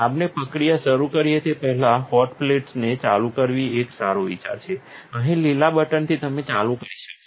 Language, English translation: Gujarati, Before we start the processing, it is a good idea to turn on the hot plates, on the green button here you will turn on